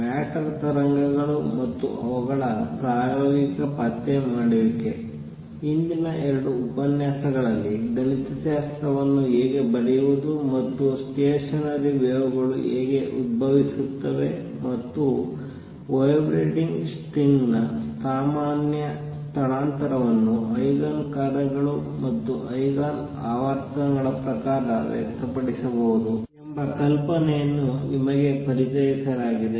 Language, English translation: Kannada, In the previous 2 lectures are introduced you to the idea of how to describe waves how to write the mathematically, and also how stationary waves arise and a general displacement of a vibrating string can be express in terms of the Eigen functions, and Eigen frequencies of that string